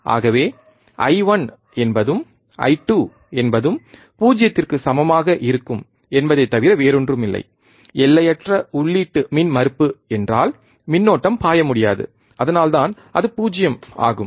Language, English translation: Tamil, Thus I 1 will be equal to I 2 equals to nothing but 0, infinite input impedance means current cannot flow, that is why it is 0